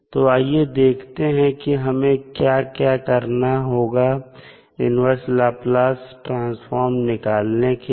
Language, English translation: Hindi, So, let us start the discussion about the inverse Laplace transform